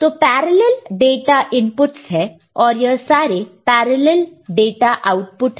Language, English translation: Hindi, So, there are parallel data inputs and these are parallel data outputs